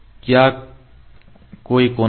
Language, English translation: Hindi, Is there any angle